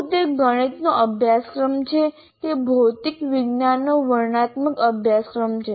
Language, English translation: Gujarati, Is it a mathematics course or is it a descriptive course on material science